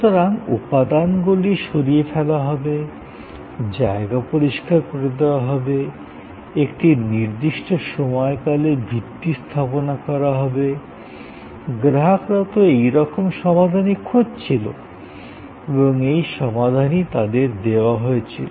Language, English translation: Bengali, So, material to be removed, ground to be cleared, foundation to be created over a targeted time span; that was the solution the customer was looking for and that was the solution that was offered